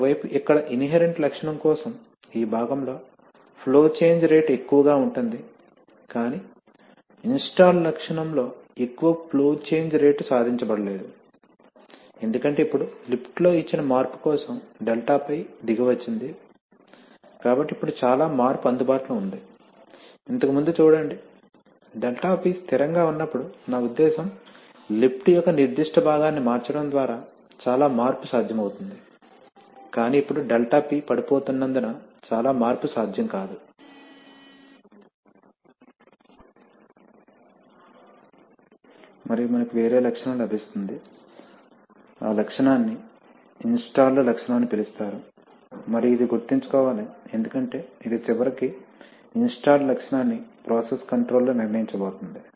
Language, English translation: Telugu, you see that in this part for the inherent characteristic, the rate of flow change is high but that much rate of flow change is not achieved in the installed characteristic because of the fact that now the 𝛿P has come down, so if the 𝛿P has come down then for a, then for a given change in the lift now so much change which was available, see previously when 𝛿P held constant I mean a lot of change could be possible by changing a certain part of the lift but now since the 𝛿P, since the 𝛿P is going to fall, so therefore so much change is not possible and we get a different characteristic, that characteristic is called the installed characteristic and this must be remembered because it is the install characteristic finally which is going to decide the, decide the characteristic in the process control